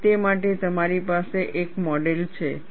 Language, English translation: Gujarati, And you have a model for that